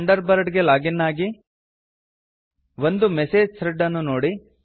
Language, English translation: Kannada, Login to Thunderbird, View a message thread